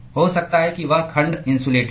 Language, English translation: Hindi, May be that section is insulated